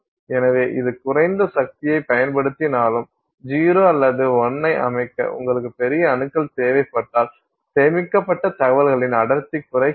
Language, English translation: Tamil, So, even though it is using less power, if you need a larger collection of atoms to enable you to set 0 or 1, then your density of information stored decreases